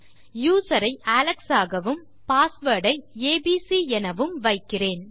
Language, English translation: Tamil, Ill say username is equal to alex and my password is equal to abc